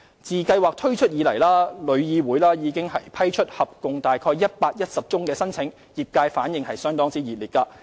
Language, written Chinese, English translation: Cantonese, 自計劃推出以來，旅議會已批出合共約宗申請，業界反應熱烈。, Since the introduction of the Scheme TIC has approved 110 applications in total and the response from the industry has been enthusiastic